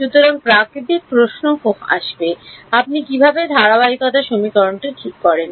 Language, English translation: Bengali, So, the natural question will come how do you fix the continuity equation right